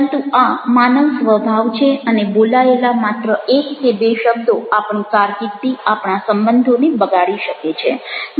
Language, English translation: Gujarati, but this is the human nature and just one or two words are spoken can spoil our carrier, can spoil relationship